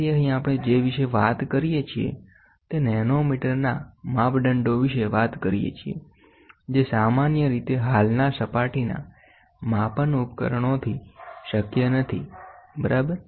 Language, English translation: Gujarati, So, here what we talk about we talk about measurements in nanometers which is not generally possible with the existing surface measuring devices, ok